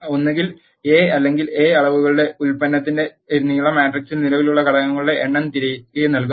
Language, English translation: Malayalam, Either length of a or product of dimensions of A will return the number of elements that are existing in the matrix